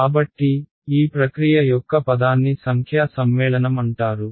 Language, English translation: Telugu, So, the word for this process is called numerical convergence